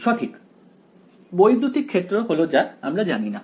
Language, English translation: Bengali, Right the electric field this is what is unknown